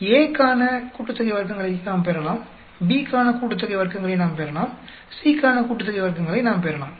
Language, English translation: Tamil, We can get sum of squares for A, we can get a sum of squares for B, we can get sum of squares for C